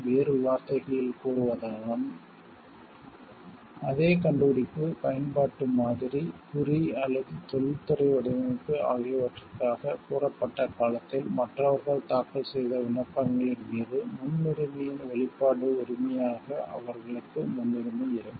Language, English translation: Tamil, In other words, they will have priority as the expression right of priority over applications filed by others during the said period of time for the same invention utility model mark or industrial design